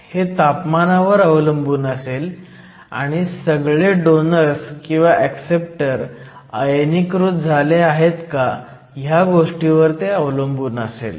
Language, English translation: Marathi, This will also depend upon the temperature and whether all the donors or acceptors are ionized